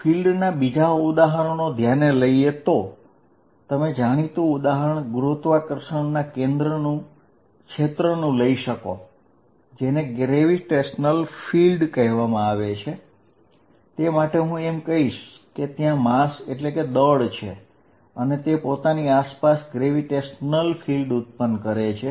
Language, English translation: Gujarati, Other examples of fields, a very obvious example that you are familiar with is gravitational field, in which I can say that, if there is a mass, it creates a gravitational field around it